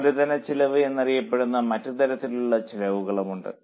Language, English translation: Malayalam, There are also other type of cost known as capitalized cost